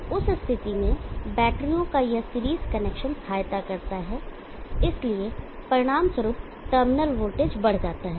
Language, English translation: Hindi, So this series connection of batteries aid in that situation, so it results and increased terminal voltage